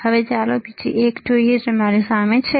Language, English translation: Gujarati, Now let us see the another one which is right in front of me